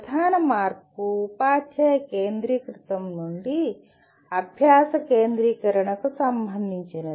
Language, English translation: Telugu, The major shift is related to from teacher centricity to learner centricity